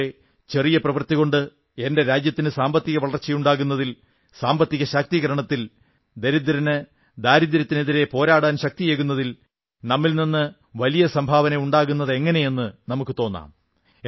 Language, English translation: Malayalam, In the same way today we may feel that even by making a tiny contribution I may be contributing in a big way to help in the economic upliftment and economic empowerment of my country and help fight a battle against poverty by lending strength to the poor